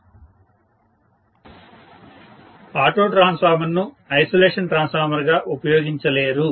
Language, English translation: Telugu, Auto transformer cannot be used as an isolation transformer